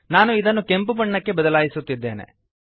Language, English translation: Kannada, I am going to change it to red